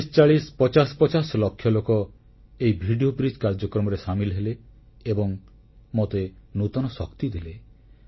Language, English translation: Odia, 4050 lakh people participated in this video bridge program and imparted me with a new strength